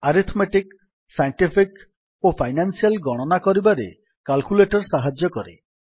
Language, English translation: Odia, Calculator helps perform arithmetic, scientific or financial calculations